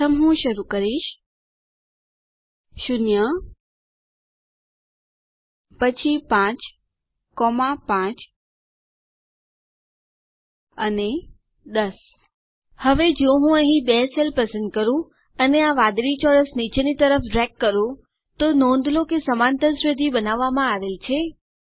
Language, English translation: Gujarati, First I will start with 0, then 5, 5 and 10 Now if I select the two cells here and then drag this blue square all the way down, notice an arithmetic progression is created